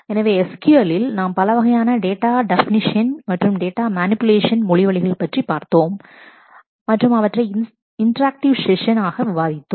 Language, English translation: Tamil, So, SQL we have seen the kind of DDL data definition and data manipulation language paths and those were discussed in terms of our interactive session as well